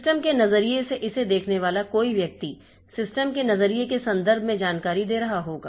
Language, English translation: Hindi, Somebody looking it from the system perspective will be giving information in the in terms of system perspective